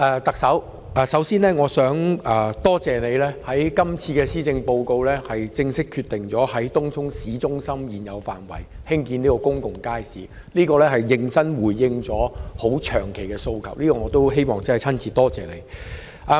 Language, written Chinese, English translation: Cantonese, 特首，首先我想多謝你在今次的施政報告內正式決定在東涌市中心現有的範圍內興建公共街市，此舉是認真地回應了一個長久以來的訴求，我希望就此親身感謝你。, Chief Executive first I wish to thank you for formally making the decision in the Policy Address to build a public market within the existing area of the Tung Chung town centre . It represents a sincere response to a long - standing request so I wish to thank you personally